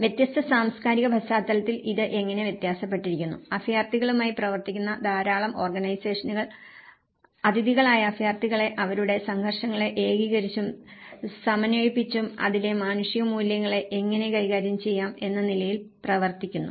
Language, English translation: Malayalam, And how it differs in different cultural context and a lot of organizations working with the refugees are working on this option of how we can better integrate and reduce the conflicts in the host and as well as from the humanitarian point of it